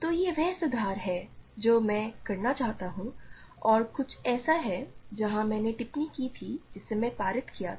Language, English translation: Hindi, So, this is the correction that I want to make and the correction is something where I made remark that I made in passing